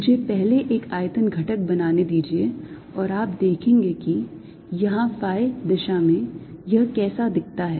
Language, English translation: Hindi, let me first make one volume element and you will see what it looks like here in phi direction